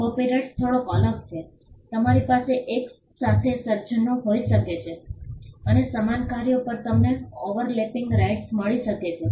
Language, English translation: Gujarati, Copyright is slightly different you can have simultaneous creations and you can have overlapping rights over similar works